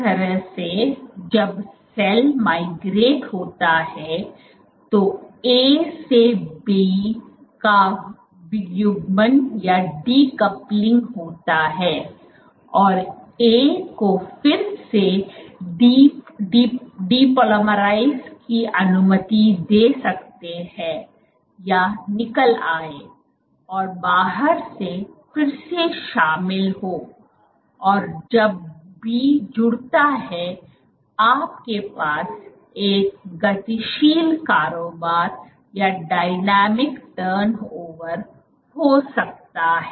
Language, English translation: Hindi, So, in this way when the cell migrates just decoupling of B from A can allow A to again depolymerize or come off and re engage the outside and then as B connects you can have this dynamic turnover